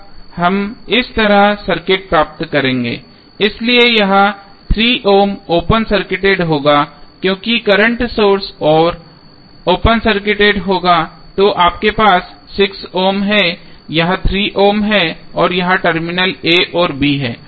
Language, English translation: Hindi, We will get the circuit like this so this is 3 ohm this would be open circuited because current source would be open circuited then you have 6 ohm, this is 3 ohm and this is the terminal a and b